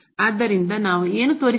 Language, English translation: Kannada, So, what we need to show